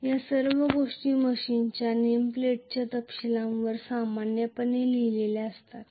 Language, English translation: Marathi, All these things will be written on the name plate details of the machine normally, right